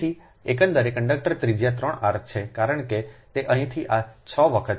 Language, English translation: Gujarati, so the overall conductor radius is three r, because from here this is six times